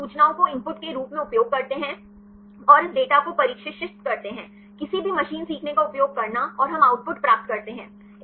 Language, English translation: Hindi, They use these information as the input and train this data; using any machine learning and we get the output